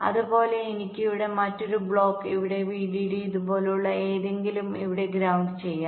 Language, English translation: Malayalam, let see, similarly i can have another block here, vdd here, ground here, something like this